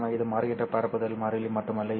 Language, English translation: Tamil, Of course, it is not just the propagation constant which changes